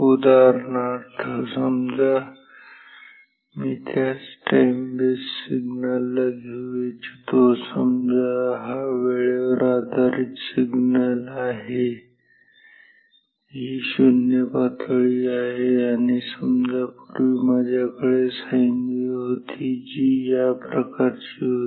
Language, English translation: Marathi, Say for example, you know for example, I can take the same time base signal, let this be the time based signal, this is the 0 level and say previously I had the sine wave which was like this